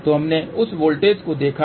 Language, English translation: Hindi, So, we have seen that voltage